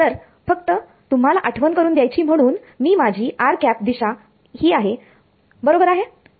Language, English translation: Marathi, So, just to remind you that this is my r hat direction right